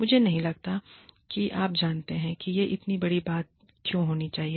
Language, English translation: Hindi, I do not think, you know, why this should be, such a big deal